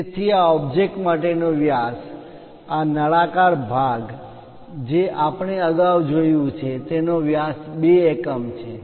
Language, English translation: Gujarati, So, the diameter for this object this cylindrical part what we have looked at earlier, this one this diameter is 2 units